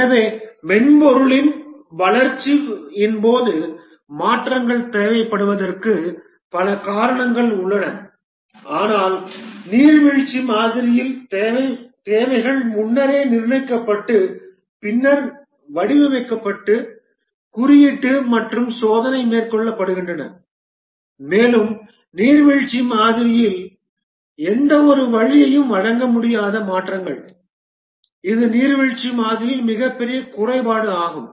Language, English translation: Tamil, So there are many reasons why changes will be required as during the development of the software but in the waterfall model the requirements are fixed upfront and then the design coding and testing are undertaken and there is no way provided by the waterfall model to make any changes this is possibly the biggest shortcoming of the waterfall model